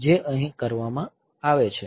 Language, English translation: Gujarati, So, this is done here